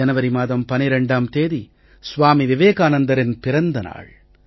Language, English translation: Tamil, Dear young friends, 12th January is the birth anniversary of Swami Vivekananda